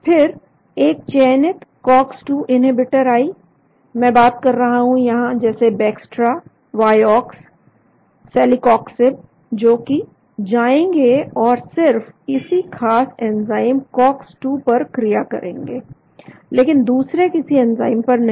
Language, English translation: Hindi, Then came a selective cox 2 inhibitors, I have been talking about it like Bextra, Vioxx, Celecoxib, which will go and bind only to this particular enzyme called cox 2 , but not to other enzymes